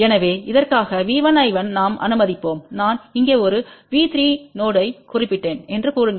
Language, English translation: Tamil, So, V 1 I 1 for this let us say I did mention a V 3 node here